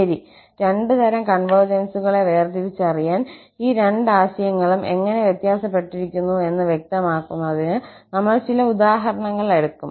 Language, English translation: Malayalam, Well, just to differentiate the two types of convergence, we will take some simple examples to just clarify that how these two notions are different